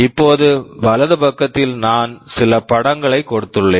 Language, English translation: Tamil, Now on the right side I have given some pictures